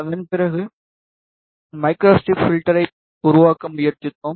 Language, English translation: Tamil, After that, we tried to make microstrip filter